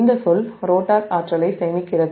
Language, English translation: Tamil, and if this term the rotor is storing energy